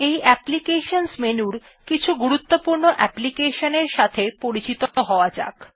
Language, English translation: Bengali, In this applications menu, lets get familiar with some important applications